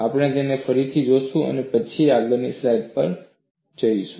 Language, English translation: Gujarati, We will again look it up, and then go to the next slide